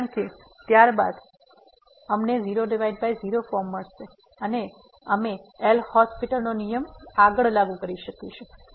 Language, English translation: Gujarati, Because then we will get by form and we can further apply the L’Hospital’s rule